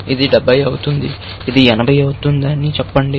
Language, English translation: Telugu, Let us say this happens to be 70, and this happens to be 80